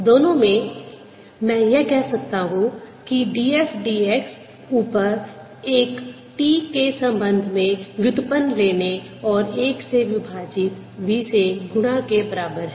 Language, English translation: Hindi, in both i can say that d f d x in the upper one is equivalent, taking a derivative with respect to t and multiplying by v